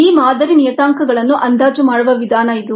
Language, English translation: Kannada, this is the way in which these model parameters are estimated